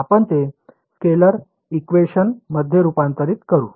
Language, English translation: Marathi, So, we can convert it into a scalar equation